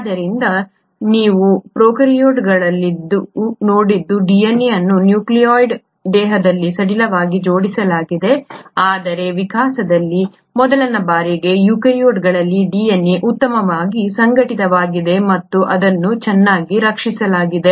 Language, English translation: Kannada, So what you had seen in prokaryotes was DNA was loosely arranged in a nucleoid body but what you find in eukaryotes for the first time in evolution that the DNA is very well organised and it is very well protected